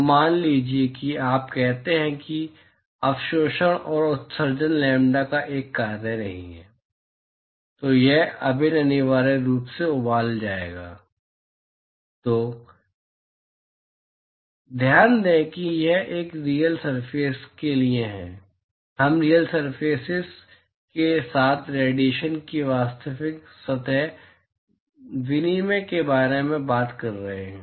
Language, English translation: Hindi, So, supposing you say that absorptivity and emissivity are not a function of lambda, then this integral will essentially boil down to… So, note that this is for a real surface, we are talking about real surface exchange of radiation with real surfaces